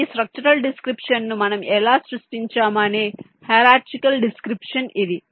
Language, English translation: Telugu, so this is the hierarchical description of how we have created this structural description, the four bit adder